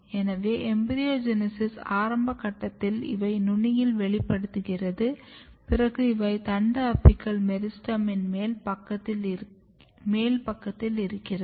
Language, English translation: Tamil, So, if you look at the very early stage of embryogenesis you can see that it is expressed here at the tip then it basically remains here at the upper side of the shoot apical meristem